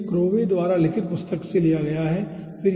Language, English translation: Hindi, okay, so this has been taken from book by crowe, written crowe